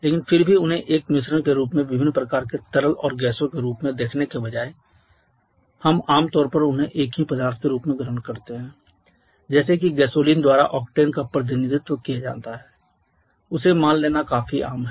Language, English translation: Hindi, But still instead of considering them as a mixture different kinds of liquids and gases we generally come assume them as a single substance like it is quite common to assume gasoline to be represented by octane